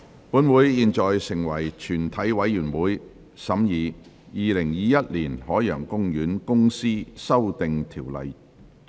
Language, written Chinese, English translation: Cantonese, 本會現在成為全體委員會，審議《2021年海洋公園公司條例草案》。, This Council now becomes committee of the whole Council to consider the Ocean Park Corporation Amendment Bill 2021